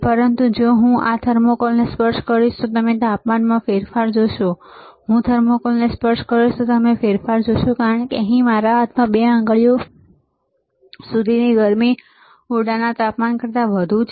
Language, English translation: Gujarati, But if I touch this thermocouple, you will see the change in temperature, if I touch the thermocouple; you will see the change, because the heat here in my hand within to 2 fingers is more than the room temperature